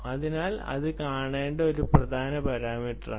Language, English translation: Malayalam, so this is an important parameter to look at